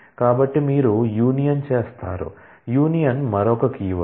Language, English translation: Telugu, So, you do a union, union is another keyword